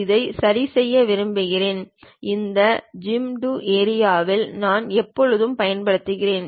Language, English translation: Tamil, I would like to adjust this; I can always use this Zoom to Area